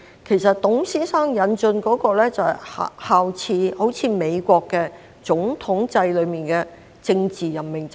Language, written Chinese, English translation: Cantonese, 其實，董先生引進的，就是效法美國總統制中的政治任命制。, In fact what Mr TUNG had introduced was based on the political appointees system under the presidential system of the United States